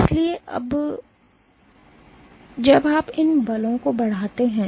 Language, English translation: Hindi, So, when you exert these forces